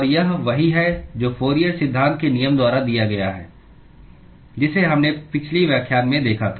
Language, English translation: Hindi, And this is what is given by Fourier’s law that we saw in the last lecture